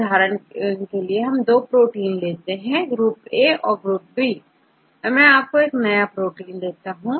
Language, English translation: Hindi, So, for example, if you have 2 groups of proteins, group A and group B